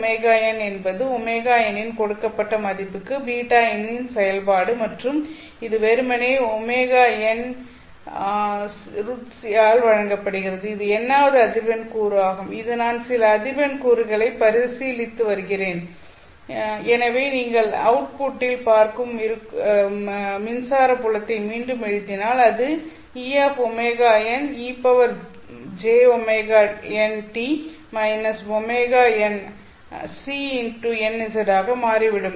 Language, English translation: Tamil, Beta of omega n is the function of beta for a given value of omega n and this is simply given by omega n into n by c this omega n is the nth frequency component that I am considering some frequency component so if you rewrite the electric field that you are seeing at the output it turns out to be e par e of omega n this is the amplitude of the electric field at the frequency omega n